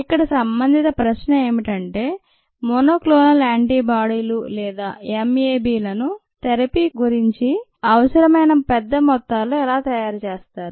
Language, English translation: Telugu, the relevant question here is that how are monoclonal antibodies, or m a bs, made in large quantities that are needed for therapy